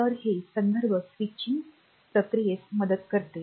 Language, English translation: Marathi, So, this helps in the context switching process